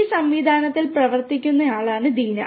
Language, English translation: Malayalam, Deena is a working on this system